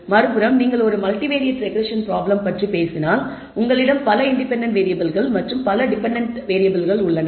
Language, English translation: Tamil, On the other hand if you talk about a multivariate regression problem you have multiple independent variables and multiple dependent variables